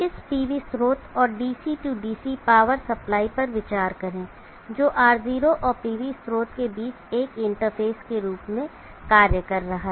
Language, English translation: Hindi, Consider this PV source and the DC DC power supply which is acting as a interface between R0 and the PV source